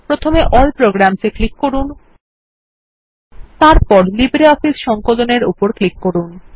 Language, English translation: Bengali, Click on All Programs, and then click on LibreOffice Suite